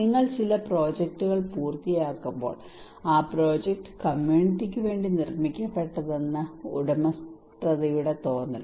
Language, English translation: Malayalam, Ownership feeling that when you are achieving when you are finishing some projects, the project is made for the community themselves